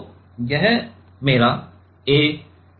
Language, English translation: Hindi, So, this is my a